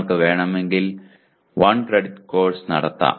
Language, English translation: Malayalam, You can also have 1 credit course if you want